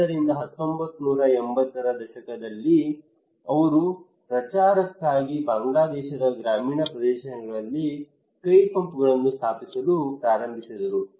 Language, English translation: Kannada, So in 1980s they started to install hand pumps in rural areas in Bangladesh to promote